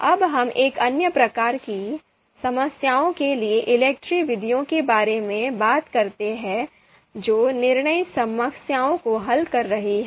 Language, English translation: Hindi, Now let us talk about ELECTRE methods for another type of problems that is sorting decision problems